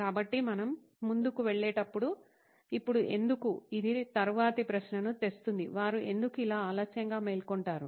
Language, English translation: Telugu, So with this when we carry forward, now why, it brings the next question, why do they wake up late like this